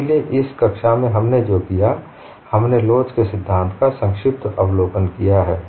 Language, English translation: Hindi, Let us continue our discussion on review of theory of elasticity